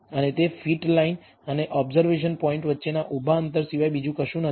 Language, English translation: Gujarati, And that is nothing but the vertical distance between the fitted line and the observation point